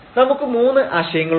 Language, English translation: Malayalam, We have the three concepts